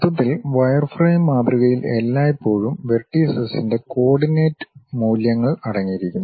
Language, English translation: Malayalam, On overall, the wireframe model always consists of coordinate values of vertices